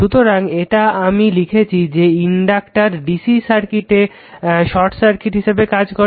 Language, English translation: Bengali, So, this is I have written for you recall that inductors act like short circuit short circuit to dc right